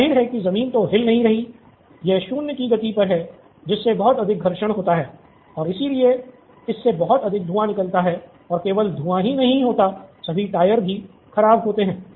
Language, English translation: Hindi, Obviously the ground is not moving, it’s at 0 speed so that’s going to lead to a lot of friction and hence leads to a lot of smoke and not only smoke, the smoke is because of all the tyre wear, okay